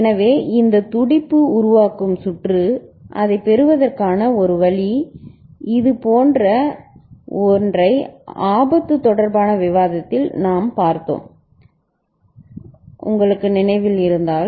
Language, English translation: Tamil, So, this pulse forming circuit so one way of getting it, something like this we had seen in the discussion related to hazard before, if you remember ok